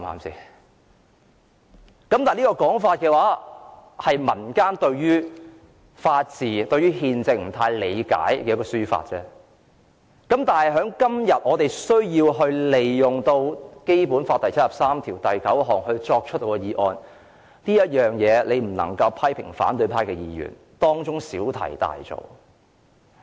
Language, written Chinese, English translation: Cantonese, 這個說法是民間對於法治、憲政不太理解的情況下提出的，但今天我們根據《基本法》第七十三條第九項提出議案，建制派不能批評反對派議員小題大作。, The slogan was chanted because members of the public did not fully understand the rule of law and constitutionalism but today we initiated this motion under Article 739 of the Basic Law and pro - establishment Members cannot say we are making a fuss